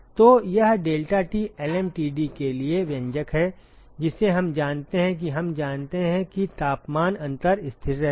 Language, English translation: Hindi, So, this is the expression for deltaT lmtd we know that and we know that the temperature difference remains constant